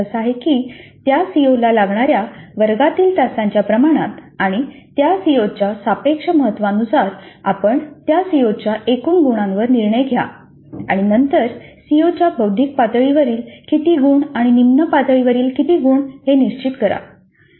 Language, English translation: Marathi, That means based on the proportion of classroom hours spent to that COO and the relative to importance of that CO you decide on the total marks for that COO and then decide on how many marks at the cognitive level of the COO and how many marks at lower levels